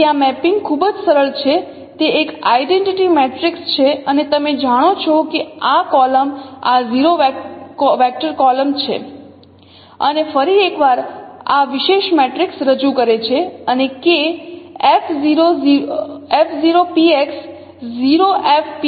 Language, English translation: Gujarati, It is an identity matrix and no this column is the zero vector column and And once again, this is represented by this particular matrix